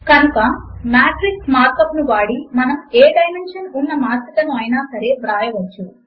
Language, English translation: Telugu, So using the matrix mark up, we can write matrices of any dimensions